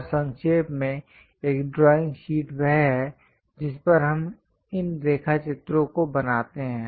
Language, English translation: Hindi, And to summarize, a drawing sheet is the one on which we draw these sketches